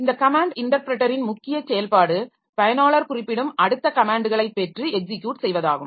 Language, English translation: Tamil, So this the main function of this command interpreter is to get and execute the next user specified comment